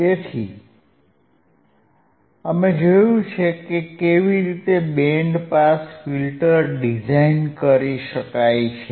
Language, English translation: Gujarati, So, we have seen how the band pass filter can be designed